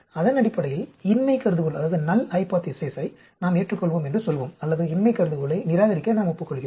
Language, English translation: Tamil, Based on that we will say, we will accept null hypothesis or we agree to reject null hypothesis then